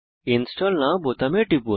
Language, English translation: Bengali, Click on the Install Now button